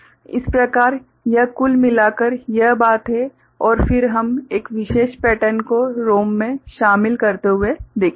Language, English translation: Hindi, So, this is the overall this thing and then we’ll look at having a particular pattern ingrained in a ROM